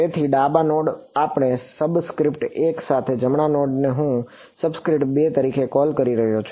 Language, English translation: Gujarati, So, those the left node we are calling as with subscript 1 and the right node I am calling subscript 2